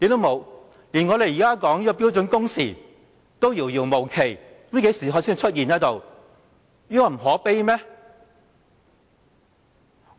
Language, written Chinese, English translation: Cantonese, 沒有，連我們現在討論的標準工時也遙遙無期，不知何時才會出現，這情況不可悲嗎？, Even the implementation of standard working hours which we are now discussing is not to be seen in the foreseeable future and when it will take place remains unknown . Is this situation not deplorable?